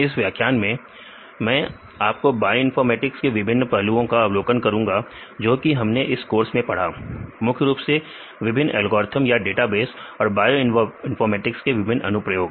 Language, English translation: Hindi, In this lecture, I will provide an overview on different aspects of bioinformatics we learnt in this course, specifically and on various algorithms or databases as well as the different applications of bioinformatics